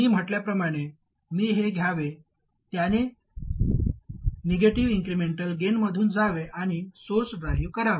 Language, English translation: Marathi, Like I said, I should take this, make it go through a negative incremental gain and drive the source